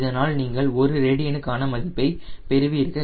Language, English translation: Tamil, then we will get per radian